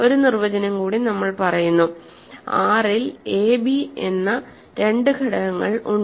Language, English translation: Malayalam, One more definition, we say that two elements a, b in R